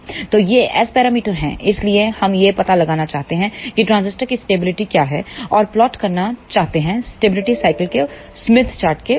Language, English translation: Hindi, So, these are the S parameters so, we want to find out what is the stability of the transistor and plot stability cycles on smith chart